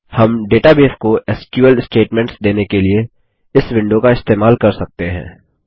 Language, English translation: Hindi, We can use this window, to issue SQL statements to the database